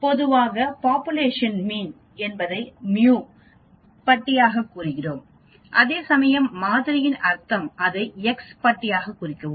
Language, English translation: Tamil, Normally for population mean we represent it as mu bar whereas for the sample mean we may represent it as x bar